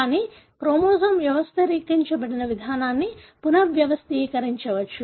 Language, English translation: Telugu, But, the way the chromosome is organized could be rearranged